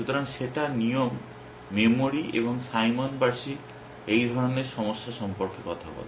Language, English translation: Bengali, So, that is rule memory and when Simon annual for talking about this kind of problems